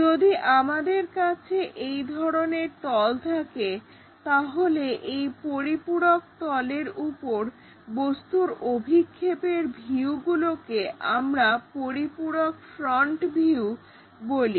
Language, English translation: Bengali, If we have such kind of planes, the views of the object projected on the auxiliary plane is called auxiliary front view